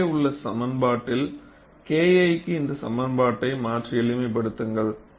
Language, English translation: Tamil, And you substitute this expression for K 1 in the above equation, and simplify